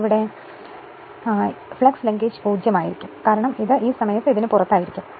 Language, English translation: Malayalam, So, this position will come top and this position will come to the bottom at that time flux linkage will be 0, because this will be now at that time outside of this right